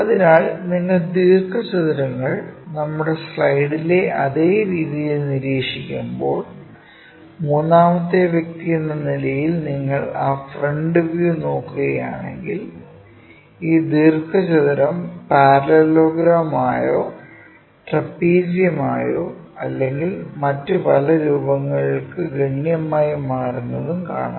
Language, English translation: Malayalam, So, in the same way on our slide when we are observing this rectangles, the views when you are projecting, as a third person if you are looking at that front view projected ones this rectangle drastically changes to parallelogram sometimes trapezium and many other kind of shapes